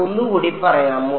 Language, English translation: Malayalam, Can you say again